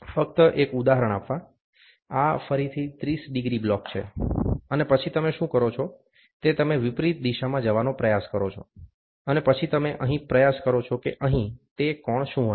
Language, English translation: Gujarati, Just giving an example, this is this is again a 30 degree block, and then what you do is you try to have in reverse direction, so in reverse direction, and then you try it here what will be the angle is here it is only 25 degrees